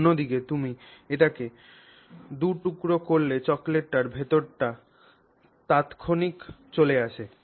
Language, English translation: Bengali, On the other hand if you cut it into two, the chocolate comes instantaneously, right